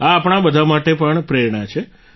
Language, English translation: Gujarati, This is an inspiration to all of us too